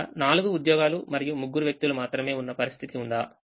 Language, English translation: Telugu, can there be a situation where there are four jobs and there are only three people